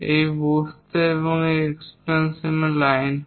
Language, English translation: Bengali, For this circle these are the extension lines